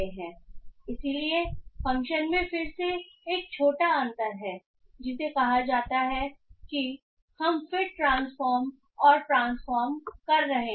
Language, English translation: Hindi, So there is again a small difference in the function called that we are doing fit transform and transform